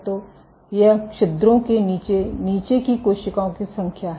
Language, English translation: Hindi, So, this is number of cells at the bottom, the bottom of the pores ok